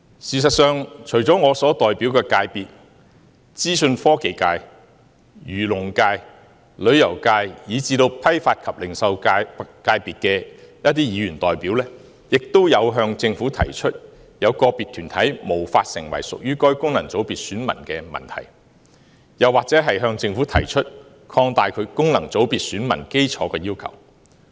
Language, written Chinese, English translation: Cantonese, 事實上，除了我所代表的界別，資訊科技界、漁農界、旅遊界，以至批發及零售界的議員代表，也曾向政府提出，有個別團體無法成為屬於該功能界別選民的問題，又或是向政府提出擴大其功能界別選民基礎的要求。, In fact apart from the subsectors which I represent Members representing the FCs of Information Technology Agriculture and Fisheries Tourism and Wholesale and Retail have similarly expressed to the Government the problem that some groups have not been included in certain FCs or have made requests for broadening their electoral bases